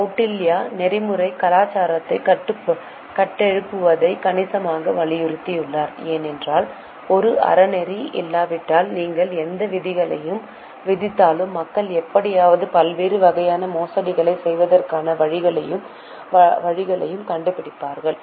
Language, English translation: Tamil, Kautilia has significantly emphasized building of ethical culture because whatever rules you make unless there is morality within, it is likely that people will find out ways and means to somehow do various types of frauds